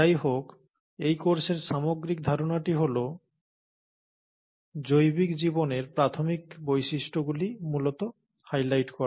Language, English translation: Bengali, However, the whole idea of this course is to essentially highlight the basic features of biological life